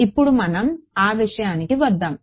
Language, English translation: Telugu, Now, let us come to that